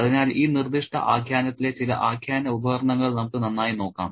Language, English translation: Malayalam, So, let's take a good look at some of the narrative devices at play in this particular narrative